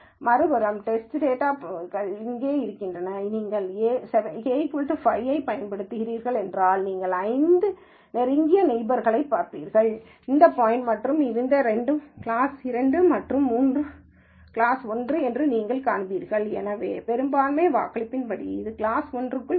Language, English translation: Tamil, If on the other hand the test data point is here and you were using K equal to 5 then, you look at the 5 closest neighbor to this point and then you see that two of them are class 2 and three are class 1, so majority voting, this will be put into class 1